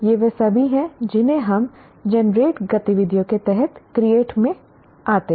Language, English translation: Hindi, These are all what we call generate activities under create